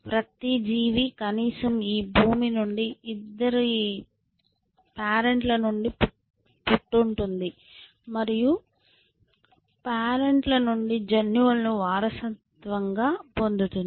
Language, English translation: Telugu, So, every creatures is at least from this earth has born of two parents and inherits the genes from both the parents